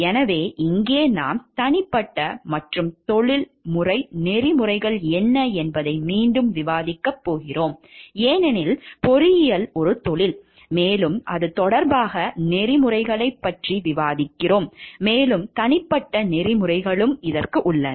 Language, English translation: Tamil, So, here we are going to discuss again what is personal and professional ethics because engineering is a profession, and we are discussing about ethical ethics with respect to it and there is personal ethics also